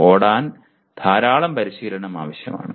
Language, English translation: Malayalam, Running requires lot of practice